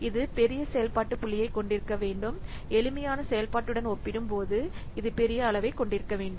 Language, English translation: Tamil, It should have larger function point and hence it should have larger size as compared to a simpler function